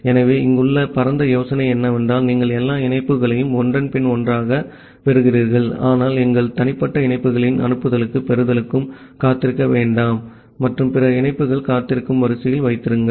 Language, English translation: Tamil, So, the broad idea here is that you get all the connections one after another, but do not wait for the send and a receive functionality of our individual connections and keep other connections in the waiting queue